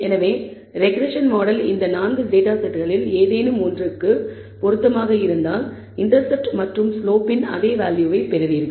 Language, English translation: Tamil, So, the regression model if you are fit to any of these data 4 data sets you will get the same estimate of the intercept and slope